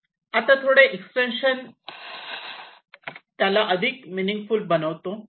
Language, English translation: Marathi, right now, a slight extension makes it more meaningful